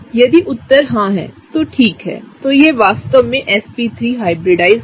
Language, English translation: Hindi, If the answer is yes, then okay, then it is really sp3 hybridized